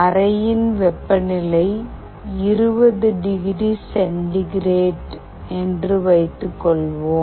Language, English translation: Tamil, Suppose, the room temperature is 20 degree centigrade